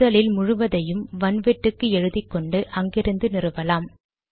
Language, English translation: Tamil, First you have to copy the entire content to the hard disk and then install it from there